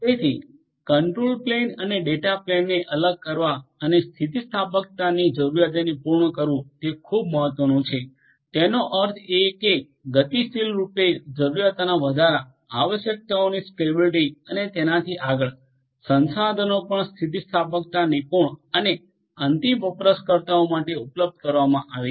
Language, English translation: Gujarati, So, it is very important to separate the control and data planes and to cater to the requirements of elasticity; that means, dynamically depending on the increase in the requirements, scalability of the requirements and so on, the resources will also be elastically a elastically proficient and made available to the end users